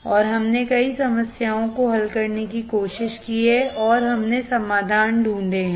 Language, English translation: Hindi, And we have tried to solve several problems and we have found the solutions